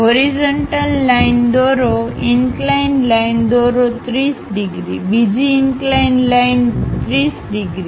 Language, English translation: Gujarati, Draw a horizontal line draw an incline line 30 degrees, another incline line 30 degrees